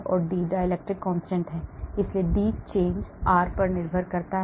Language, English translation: Hindi, D is the dielectric constant, so the D change is depending upon r